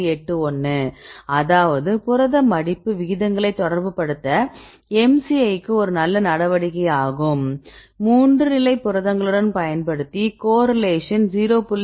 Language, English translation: Tamil, 81; that means, MCI is a good measure to relate protein folding rates, then we use the same with the 3 state proteins